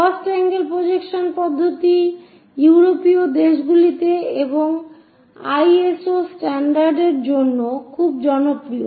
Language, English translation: Bengali, The first angle projection system is very popular in European countries and also for ISO standards